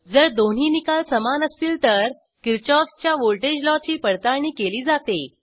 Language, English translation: Marathi, If both the results are equal then Kirchoffs voltage law is verified